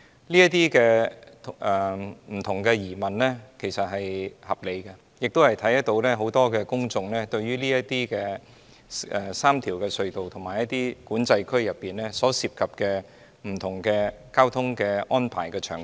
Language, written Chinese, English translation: Cantonese, 這些不同的疑問是合理的，亦看到很多市民關注這3條隧道，以及管制區裏所涉及的不同交通安排場景。, These various queries are justified and reflective of the concern among many members of the public about the different traffic arrangements involved in these three tunnels and the control areas